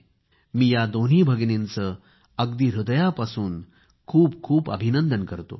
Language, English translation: Marathi, I convey my heartiest congratulations to both of them